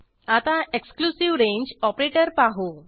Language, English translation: Marathi, Now we will see an exclusive range operator